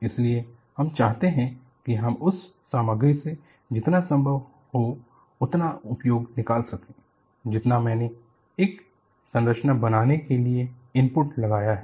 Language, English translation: Hindi, So, what we want to do is, we want to take out as much as possible from the material that I have put in for making a structure